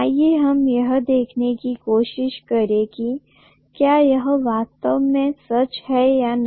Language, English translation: Hindi, Let us try to see whether it is really true eventually